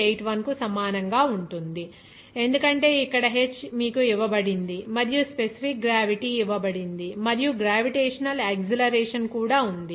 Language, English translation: Telugu, 81 okay because here h is given to you, you know that and also what is that specific gravity is given to you and also this gravitational acceleration is there